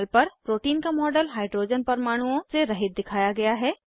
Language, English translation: Hindi, The model of protein on the panel is shown without hydrogens atoms